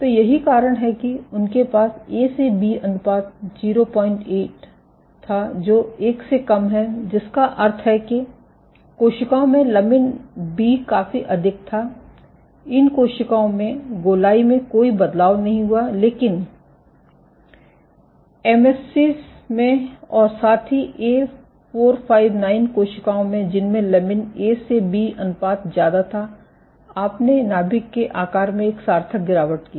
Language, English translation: Hindi, 8, which is less than 1 which means that lamin B was significantly high in these cells, in these cells there was no change in circularity, but in these cells in MSCs, as well as in A459 cells which had much greater lamin A to B ratios you formed a significant drop in this nuclear shape ok